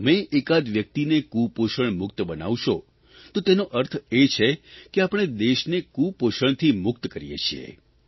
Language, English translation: Gujarati, If you manage to save a few people from malnutrition, it would mean that we can bring the country out of the circle of malnutrition